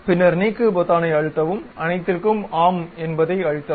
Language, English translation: Tamil, Then you can press Delete, Yes to All